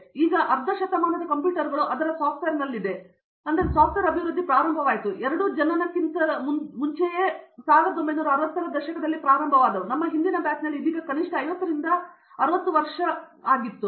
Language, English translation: Kannada, But, now computers are in its say around half a century, software development started, big software development started late 1960s even before we both were born, in our previous batch so that is at least now 50 to 60 years old today